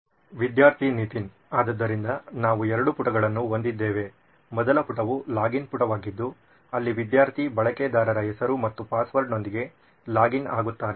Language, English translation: Kannada, So we have two pages, the first page would be a login page where the student would login with a username and password